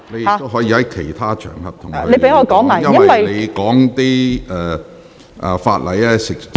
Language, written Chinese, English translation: Cantonese, 你可在其他場合向局長表達意見......, You can express your views to the Secretary on other occasions